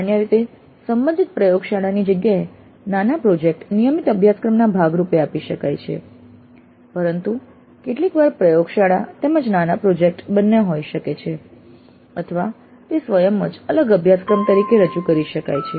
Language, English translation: Gujarati, The mini project again can be offered as a part of a regular course usually in the place of an associated lab but sometimes one can have a lab as well as a mini project or it can be offered as a separate course by itself